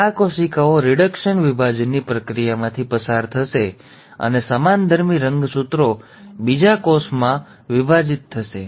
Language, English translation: Gujarati, So, these cells will undergo the process of reduction division and the homologous chromosomes will get segregated into the gametes